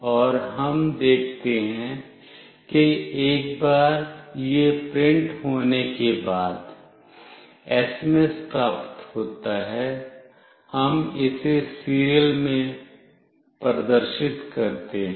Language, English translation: Hindi, And we see that once this is printed, SMS is received, we display this in the serial